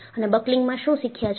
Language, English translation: Gujarati, And, what is it that you have learnt in buckling